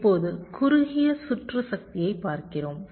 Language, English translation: Tamil, now we look at short circuit power